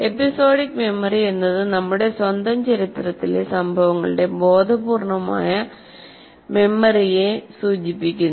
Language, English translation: Malayalam, Episodic memory refers to the conscious memory of events in our own history